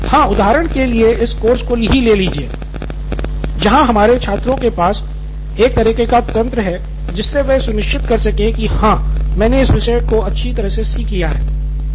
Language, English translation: Hindi, Yeah, like this course for example, for our students here they have a sort of mechanism that they are making sure that yes, I have learnt this topic well